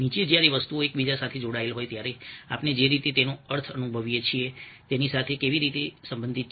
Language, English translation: Gujarati, how does that relate to the way we experience meanings of things when that link to one another